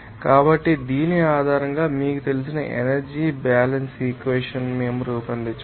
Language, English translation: Telugu, So, based on this, we can then formulate this you know energy balance equation